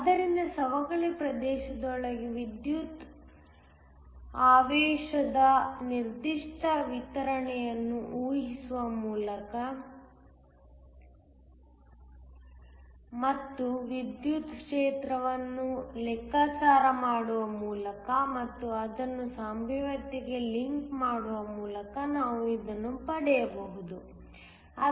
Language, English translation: Kannada, So, this we can get by assuming a certain distribution of electric charge within the depletion region and thus calculating the electric field and linking that to the potential